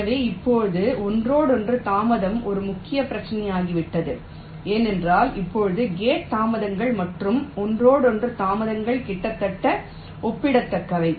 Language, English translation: Tamil, so now interconnection delay has become a major issue because now the gate delays and the interconnection delays are almost becoming becoming comparable